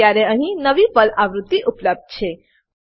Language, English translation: Gujarati, Now, there is a new PERL version available